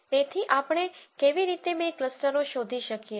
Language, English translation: Gujarati, So, how do we find the two clusters